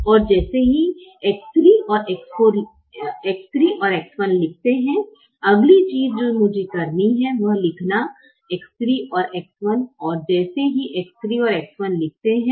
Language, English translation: Hindi, as soon as write x three and x one, the next thing i have to do is to write the objective function coefficients of x three and x one